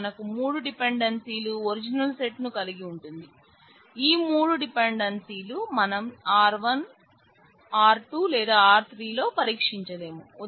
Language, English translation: Telugu, So, that leaves us with three dependencies in the original set which cannot be checked on any one of R1,R2 or R3